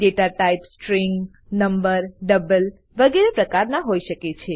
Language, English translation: Gujarati, The data type can be string, number, double etc